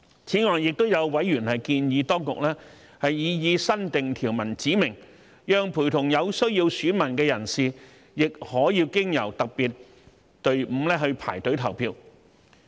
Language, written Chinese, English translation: Cantonese, 此外，也有委員建議當局在擬議新訂條文中指明，讓陪同有需要選民的人士亦可經由特別隊伍排隊投票。, In addition some members have suggested specifying in the proposed new provision that persons accompanying electors in need may also queue up to vote through the special queue